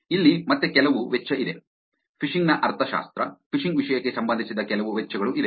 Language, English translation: Kannada, Here is some cost again, economics about phishing, some costs that is relevant to the topic of phishing